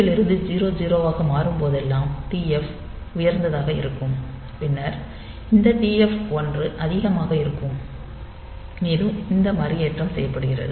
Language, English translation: Tamil, So, TF will go high whenever this there is a rollover from FF to 0 0 and then this TF 1 is high and this reload is also done